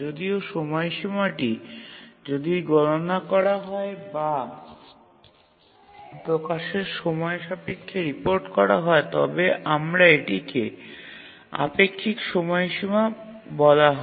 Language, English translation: Bengali, Whereas if the deadline is computed or is reported with respect to the release time, then we call it as the relative deadline